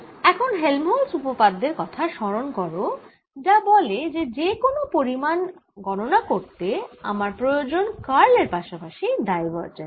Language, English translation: Bengali, now recall helmholtz theorem that says that to calculate any quantity i need its curl as well as divergence